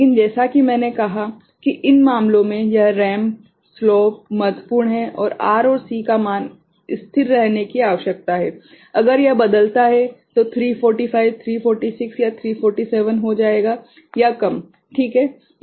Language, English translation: Hindi, But, as I said that in these cases, this ramp, the slope is key and the value of R and C is something need to remain constant, if that varies then 345 will becomes 346, 347 or you know less ok